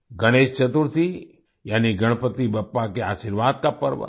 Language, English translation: Hindi, Ganesh Chaturthi, that is, the festival of blessings of Ganpati Bappa